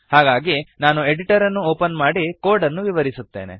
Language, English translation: Kannada, So I will open the editor and explain the code